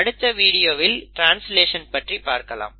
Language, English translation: Tamil, In the next video we will talk about translation